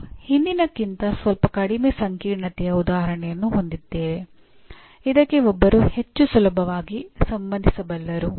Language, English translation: Kannada, And then we have a slightly less complicated than the previous one but something that one can relate more easily